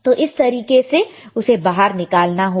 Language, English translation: Hindi, So, this is how you should take it out